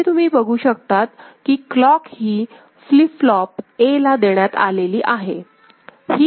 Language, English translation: Marathi, And you can see this clock is fed here to flip flop A